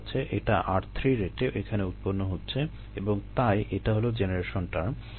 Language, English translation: Bengali, now this is being generated at the rate of r three and therefore this is the generation term